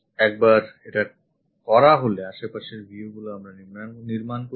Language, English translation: Bengali, Once it is done the adjacent views we will constructed